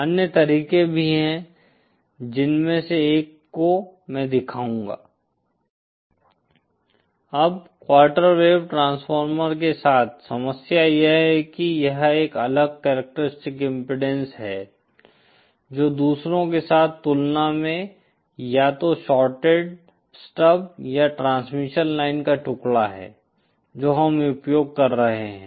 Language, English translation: Hindi, Now the problem with quarter wave transformer is that it is it is it has a different characteristic impedance compared with others either shorted stub or the piece of transmission line that we are using